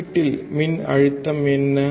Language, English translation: Tamil, What is the voltage at the output